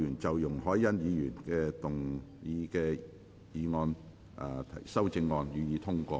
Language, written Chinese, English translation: Cantonese, 在容海恩議員答辯後，辯論即告結束。, The debate will come to a close after Ms YUNG Hoi - yan has replied